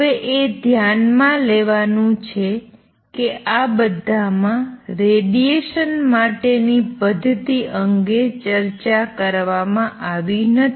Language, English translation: Gujarati, Notice in all this the mechanism for radiation has not been discussed